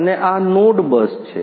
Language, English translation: Gujarati, And this is the node bus